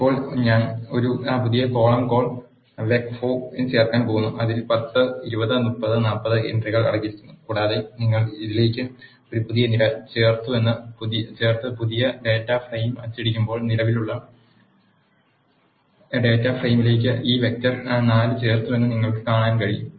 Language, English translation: Malayalam, Now I am going to add a new column call vec 4 which contains the entries 10 20 30 40 and when you add a new column to this and print the new data frame, you can see that this vec 4 is added to the existing data frame